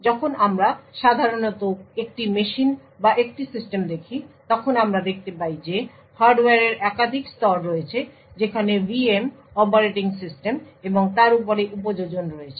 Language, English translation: Bengali, When we actually normally look at a machine or a system, we see that there are a multiple layer of hardware, there are VM’s, operating systems and above that the application